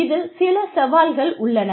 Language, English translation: Tamil, There are some challenges